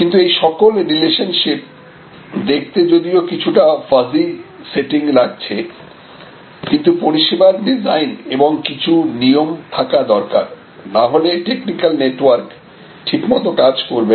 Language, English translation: Bengali, But, all these relationships even though this looks a pretty fuzzy sort of setting service design and certain rules of the game are very important; otherwise the technical network will not operate properly